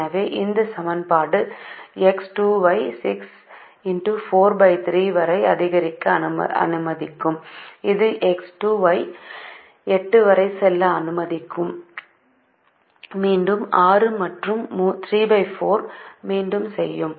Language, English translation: Tamil, so if this equation would allow x two to increase upto six into four, divided by three, it would allow x two to go upto eight